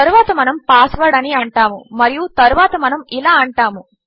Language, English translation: Telugu, Then we will say password and then well say...